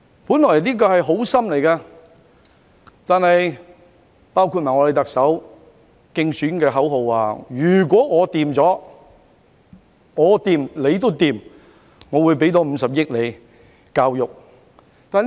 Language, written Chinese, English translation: Cantonese, 本來這是做好心，我們特首的競選口號亦提到"如果我掂，你都掂"，更會增撥50億元到教育方面。, Initially this was a well - meant move . In her election slogan our Chief Executive also mentioned if I am good you will be good too and vowed to inject an additional 5 billion to the education aspect